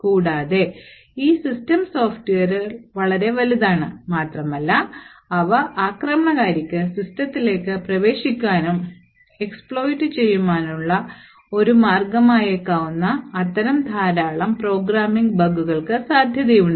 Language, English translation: Malayalam, Further, these systems software are quite large, and they are susceptible to a lot of such programming bugs which could be a way that an attacker could enter and exploit the system